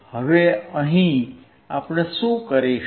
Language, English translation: Gujarati, Now here what we will do